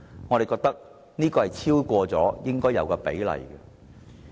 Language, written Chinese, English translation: Cantonese, 我們認為這已超出應有比例。, We hold that this has exceeded the appropriate proportion